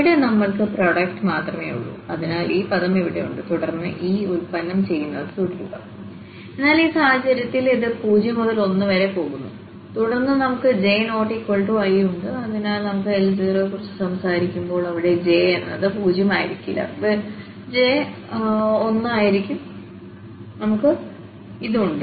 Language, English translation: Malayalam, And here we have just the product so, this with this term here and then keep on doing this product, but in this case since this is going from j 0 to 1 and then we have j not equal to i, so, when we are talking about L 0, so, j will not be 0, j will be just 1 and we have x minus x 1 and this i is 0